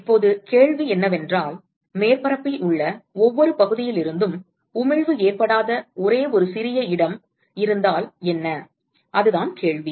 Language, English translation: Tamil, Now, the question is what if there is only one small location where the emission is occurring not from every section in the surface, correct, is that the question